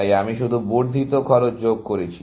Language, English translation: Bengali, So, I am just adding the incremental cost